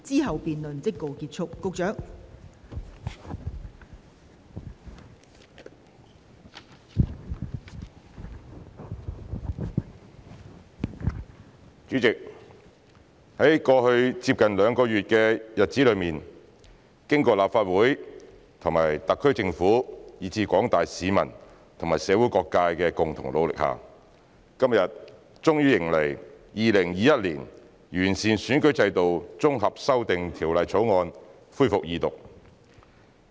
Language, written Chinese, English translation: Cantonese, 代理主席，在過去接近兩個月的日子裏，經過立法會和特區政府以至廣大市民和社會各界的共同努力下，今天終於迎來《2021年完善選舉制度條例草案》恢復二讀。, Deputy President after nearly two months of concerted efforts by the Legislative Council the SAR Government the general public and various sectors of the community the Second Reading of the Improving Electoral System Bill 2021 the Bill finally resumes today